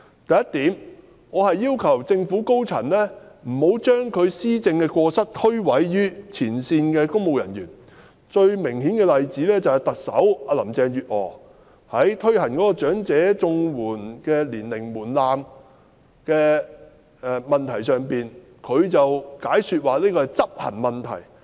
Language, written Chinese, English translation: Cantonese, 第一，我要求政府高層不要將施政的過失推諉於前線公務員，最明顯的例子便是特首林鄭月娥在落實提高申領長者綜援的年齡門檻的問題上，解說這是執行問題。, Firstly I request the top government officials not to shift the blame for governance failures onto front - line civil servants . The most glaring example is Chief Executive Carrie LAMs explanation that raising the age threshold for receiving elderly Comprehensive Social Security Assistance is an execution issue